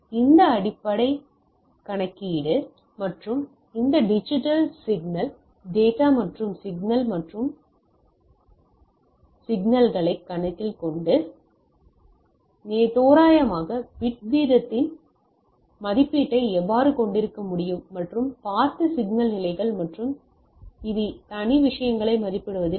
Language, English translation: Tamil, So, let us with this thing that basic fundamental way calculation that and this digital signal digital data and signal and analog data and signals considerations, how we can have some sort of estimate of approximate bit rate and the signal levels that will we have seen and this will help us in estimating separate thing